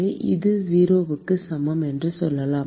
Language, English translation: Tamil, equal to 0